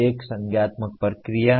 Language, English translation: Hindi, One is the cognitive process